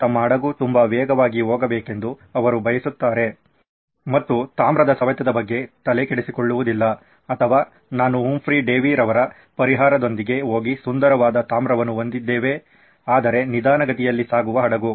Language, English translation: Kannada, Do I want my ship to go very fast and never mind the corrosion of copper or Do I go with Humphry Davy solution and have beautiful copper but a slow ship